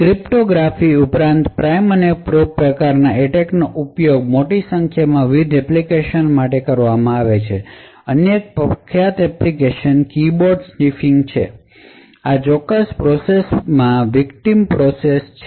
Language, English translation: Gujarati, Besides cryptography the prime and probe type of attack have been used for a larger number of different applications, one other famous application is for keyboard sniffing, so this particular process is the victim process